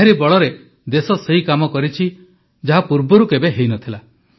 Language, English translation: Odia, This is why the country has been able to do work that has never been done before